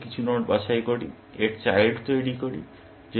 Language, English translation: Bengali, We pick some node from n, generate its children